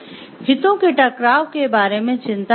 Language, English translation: Hindi, What is the concern and conflict of interest is